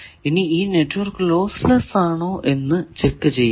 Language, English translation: Malayalam, Then the checking of whether network is lossless